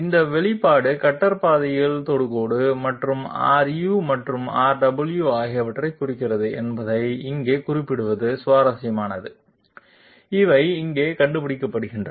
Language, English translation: Tamil, Here it is interesting to note that this expression represents the tangent along the cutter path and R u and R w, they are figuring here